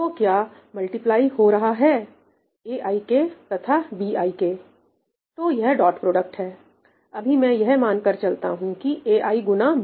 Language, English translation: Hindi, what is being multiplied aik and bkj; well this is dot product, so let me just assume ai times bi